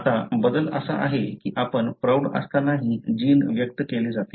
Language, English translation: Marathi, Now, the change is such that, the gene is expressed even when you are an adult